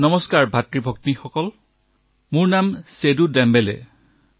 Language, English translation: Assamese, "Namaste, brothers and sisters, my name is Seedu Dembele